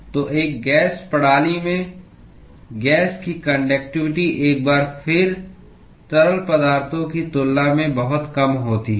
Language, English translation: Hindi, So, in a gas system, the conductivity of gas is once again much smaller than the liquids